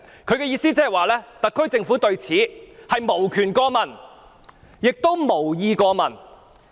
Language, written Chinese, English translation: Cantonese, 他的意思是，特區政府對此無權過問，亦無意過問。, His implication is that the SAR Government has neither the power nor the intention to get involved